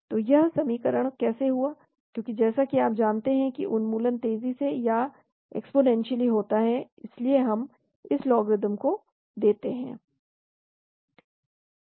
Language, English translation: Hindi, So how did this equation come about, because as you know elimination happens exponentially , so because that is why we have this logarithm